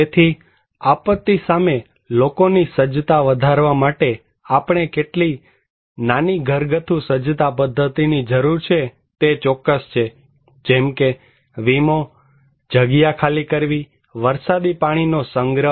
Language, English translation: Gujarati, So, we need some small household preparedness mechanism to enhance people's preparedness against the disaster that is for sure, like insurance, like evacuations, like rainwater harvesting